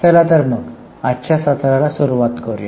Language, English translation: Marathi, So, let us go ahead with today's session